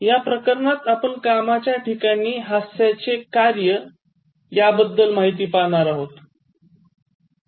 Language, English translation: Marathi, In this unit, we look at the function of humour in workplace